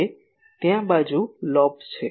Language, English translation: Gujarati, Now, there are side lobes